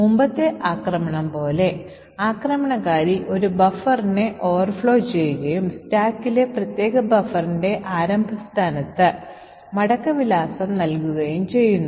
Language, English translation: Malayalam, So just like the previous attack where the attacker overflowed a buffer and made the return address point to the starting location of that particular buffer on the stack